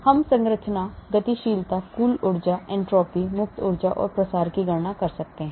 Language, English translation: Hindi, so we can calculate structure, dynamics, total energy, entropy, free energy and diffusion